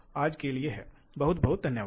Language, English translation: Hindi, So, that is all for today, thank you very much